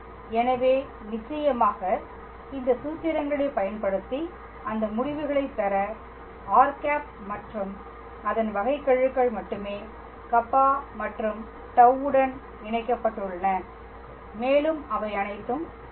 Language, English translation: Tamil, So, we will of course, use these formulas to derive that relation where only r and its derivatives are connected with Kappa and tau all right